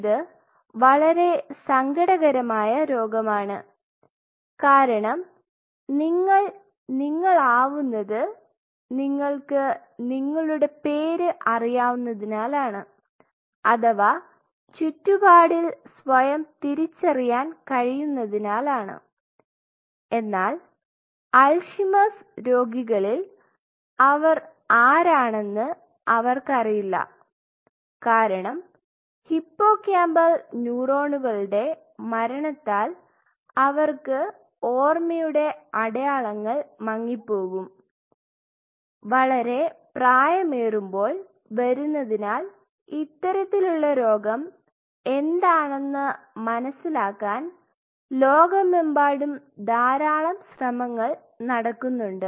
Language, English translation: Malayalam, And it is a kind of a very sad disease because you are you because you know your name or you could identify yourself in a surrounding, but in an Alzheimer’s patient you do not know who you are, because all your memory traces fades because of the death of the hippocampal neurons, and there are a lot of efforts across the world to understand what these kind of disease is and since it picks up at a later age